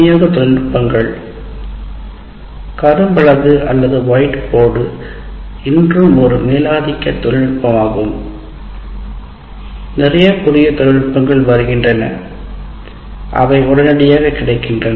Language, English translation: Tamil, Delivery technologies while still blackboard or whiteboard is the dominant technology, but plenty of new technologies are coming and are available now readily